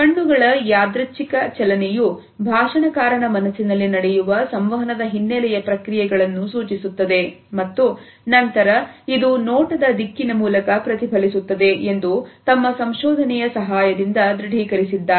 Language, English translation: Kannada, They have authenticated with the help of their research that the random movement of the eyes indicate the background processes which are running through the mind of the speaker and then this is reflected through the direction of gaze